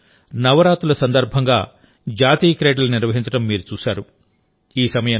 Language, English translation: Telugu, You have seen that in Gujarat the National Games were held during Navratri